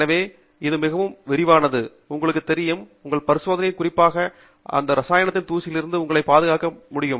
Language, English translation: Tamil, So, it is a much more elaborate and, you know, designed device to protect you from dust of any particular chemical that may be present as part of your experiment